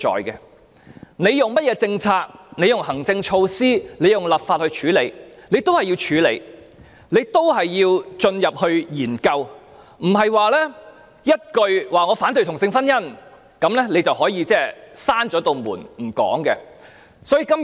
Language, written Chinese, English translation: Cantonese, 無論政府以甚麼政策、行政措施或立法手段作出處理，問題仍然需要處理，仍然需要進行研究，不能單以"反對同性婚姻"這一句，便關上大門閉口不談。, No matter what policies administrative measures or legislative means are adopted by the Government to tackle the issue the problem still needs to be addressed and a study should still be conducted . We should not shut the door and refuse to discuss by merely chanting the slogan of opposing same - sex marriage